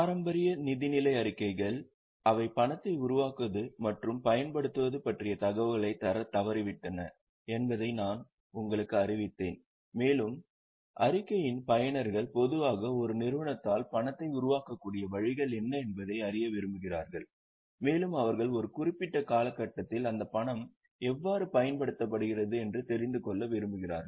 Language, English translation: Tamil, I have just informed you that the traditional financial statements they fail to give information about generation and utilization of cash and users of the statement usually want to know what are the ways an enterprise is able to generate the cash and they also want to know how that cash is utilized in a particular period